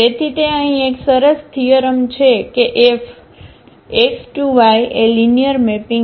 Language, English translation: Gujarati, So, there is a nice theorem here that F X to Y be a linear mapping